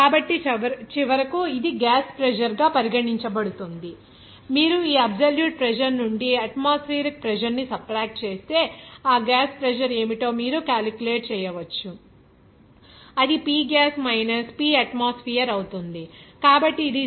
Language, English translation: Telugu, So, finally, this will be regarded as gas pressure, if you subtract the atmosphere pressure from this absolute pressure, then you can calculate what should be that gas pressure, it will be P gas minus P atmosphere